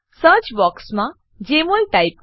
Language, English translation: Gujarati, Type Jmol in the search box